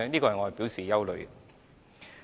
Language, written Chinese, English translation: Cantonese, 我對此表示憂慮。, I feel concerned about this point